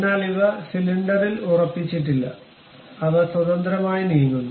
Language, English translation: Malayalam, But these are not fixed on the cylinder, they are freely moving